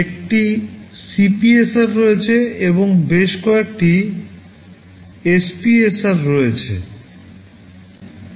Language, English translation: Bengali, There is one CPSR and there are several SPSR